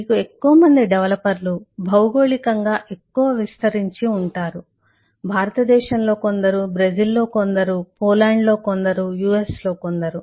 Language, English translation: Telugu, you will have more developers in more geography: some in india, some in brasil, some in poland, some in us